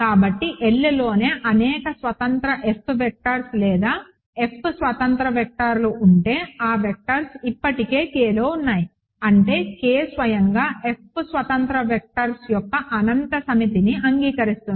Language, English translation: Telugu, So, if L itself has infinitely many independent F vectors or F independent vectors those vectors are already in K; that means, K itself admits the infinity set of F independent vectors